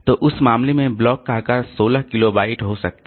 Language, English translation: Hindi, So, block size in that case may be 16 kilobyte